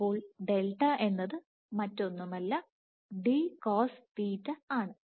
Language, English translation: Malayalam, So, this is my d in that case delta is nothing, but d cosθ